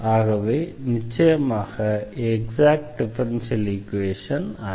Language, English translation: Tamil, So, we will continue discussing Exact Differential Equations